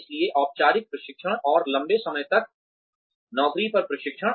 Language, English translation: Hindi, So formal learning, and long term on the job training